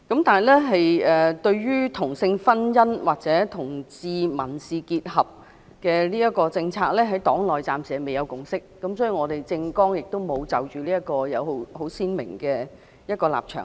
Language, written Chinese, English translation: Cantonese, 但是，對於同性婚姻或同志民事結合的政策，在黨內暫時未有共識，因此，我們的政綱亦沒有就這方面有很鮮明的立場。, Nevertheless as to the policy concerning same - sex marriage or the civil union of homosexual couples we have not reached any consensus in our party . For this reason we do not have a clearly defined position in this regards